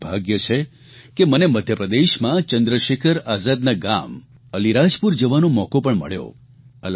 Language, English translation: Gujarati, It was my privilege and good fortune that I had the opportunity of going to Chandrasekhar Azad's native village of Alirajpur in Madhya Pradesh